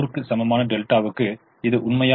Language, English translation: Tamil, will that be true for delta equal to hundred